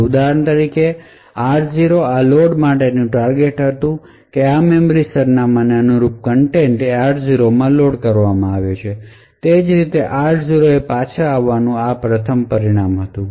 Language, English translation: Gujarati, So, for example r0 was the destination for this load that is the contents corresponding to this memory address was loaded into r0 and similarly r0 was the first result to be return back